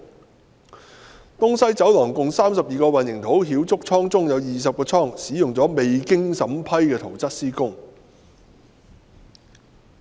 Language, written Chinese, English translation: Cantonese, 至於東西走廊共32個混凝土澆築倉中，有20個倉按照未經審批的圖則施工。, As for the 32 concrete pours of East West Corridor the works of 20 concrete pours was carried out according to construction drawings which had not been approved